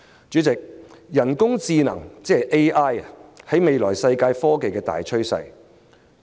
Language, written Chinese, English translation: Cantonese, 主席，人工智能是未來世界科技發展的大趨勢。, President artificial intelligence is the future trend of the global technological development